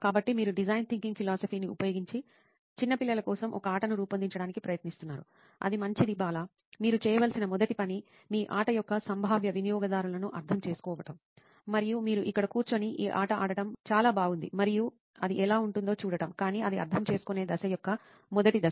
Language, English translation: Telugu, so you are trying to design a game for little kids using a design thinking philosophy, that is good Bala, the first thing you should do is Empathize with the potential users of your game and is really nice that you are sitting here and playing this game and seeing what it would be like, but that’s just the first stage of the empathising phase